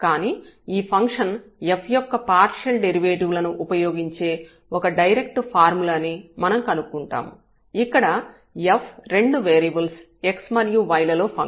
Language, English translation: Telugu, But, we will find a direct formula which will use the partial derivatives of this function f which is a function of 2 variables x and y